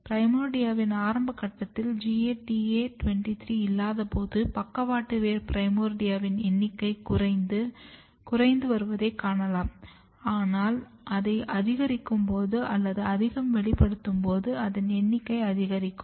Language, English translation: Tamil, If see early stage of primordia when you do not have GATA23 you can see that number of lateral root primordia is decreased, but when you increase or overexpress it is increased